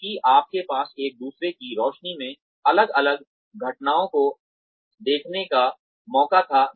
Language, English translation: Hindi, Because, you had a chance, to view the different incidents, in light of each other